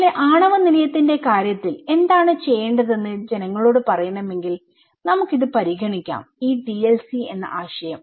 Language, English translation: Malayalam, Like, in case of nuclear power plant that if we want to tell people what should be done, we should can consider this; this TLC concept okay